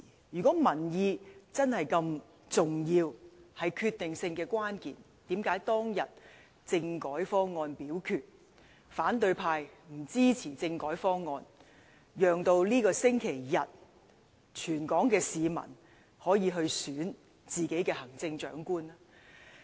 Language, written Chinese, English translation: Cantonese, 如果民意真的如此重要，是決定性的關鍵，為何當日政改方案表決，反對派不支持政改方案，讓全港市民可以在這個星期日選出行政長官？, If public opinion is really so important decisive and crucial how come when the constitutional reform package was put to the vote the opposition camp did not support the constitutional reform package to enable all Hong Kong people to elect the Chief Executive this Sunday?